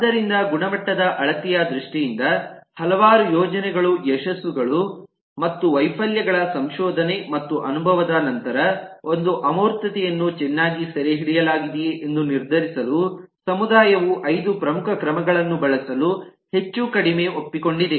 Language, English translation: Kannada, so in terms of the measure of quality, a lot of, after a lot of years of research and experience of various projects, successes and failures, the community has more or less agreed to use five major measures to decide whether an abstraction has been captured well or there is scope for improvement